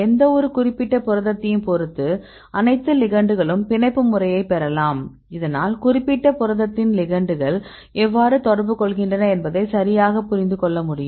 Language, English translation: Tamil, So, there you can get the mode of binding for all the ligands with respect to any specific protein, so that you can understand right how the ligands interact with the particular protein